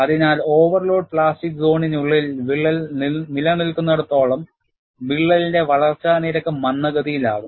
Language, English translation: Malayalam, So, as long as the crack remains within the overload plastic zone, the growth rate of the crack would be retarded